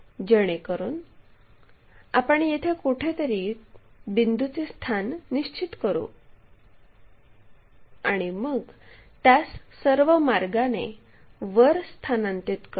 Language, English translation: Marathi, So, that we will be in a position to mark a point somewhere there, then transfer it all the way up